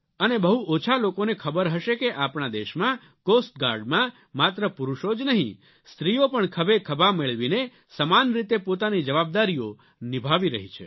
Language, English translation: Gujarati, Not many people would be aware that in our Coast Guard, not just men, but women too are discharging their duties and responsibilities shoulder to shoulder, and most successfully